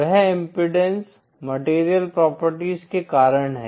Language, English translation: Hindi, That is the impedance due to the material properties